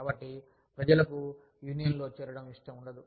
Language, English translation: Telugu, So, people do not want, to join a union